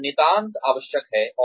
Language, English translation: Hindi, This is absolutely essential